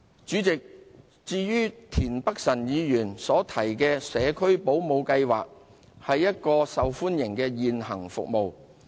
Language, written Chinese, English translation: Cantonese, 主席，至於田北辰議員提及的社區保姆計劃，它是一項受歡迎的現行服務。, Chairman with regard to the Neighbourhood Support Child Care Project mentioned by Mr Michael TIEN it is a popular existing service